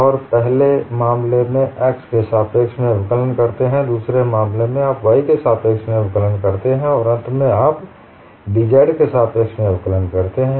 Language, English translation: Hindi, And you differentiate with respect to x in the first case; the second case, you differentiate with respect to y and finally, you differentiate with respect to dou z